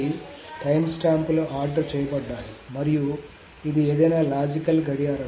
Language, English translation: Telugu, So the timestamps are ordered and it is any logical clock